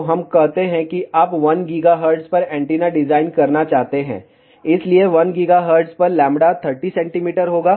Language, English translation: Hindi, So, let us say you want to design antenna at 1 gigahertz, that 1 gigahertz lambda will be 30 centimeter